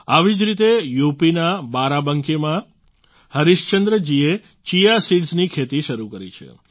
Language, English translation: Gujarati, Similarly, Harishchandra ji of Barabanki in UP has begun farming of Chia seeds